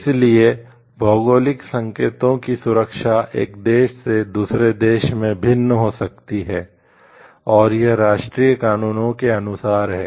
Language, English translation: Hindi, So, protection of geographical indications may vary from country one country to another, and it is in accordance with the national laws